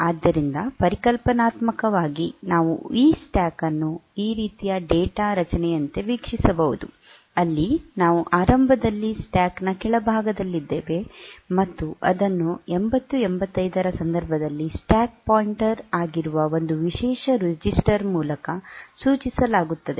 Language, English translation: Kannada, So, conceptually we can view that stack as if a data structure like this, where at the beginning we are at the bottom of the stack, and that is pointed to by one special register which is the stack pointer in case of 8085